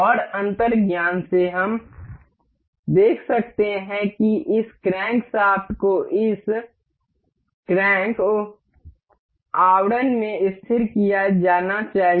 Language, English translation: Hindi, And by intuition, we can see that this crankshaft is supposed to be fixed into this crank uh casing